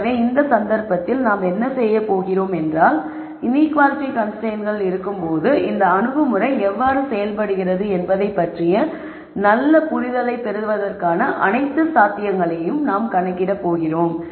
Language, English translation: Tamil, So, what I am going to do in this case is we are going to enumerate all possibilities for you to get a good understanding of how this approach works when you have inequality constraints